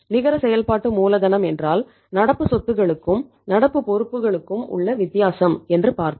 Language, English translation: Tamil, We have seen is that is the net working capital is equal to current assets minus current liabilities